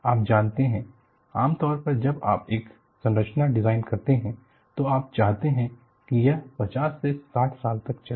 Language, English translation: Hindi, Now, normally when you design a structure, you want it to come for 50 to 60 years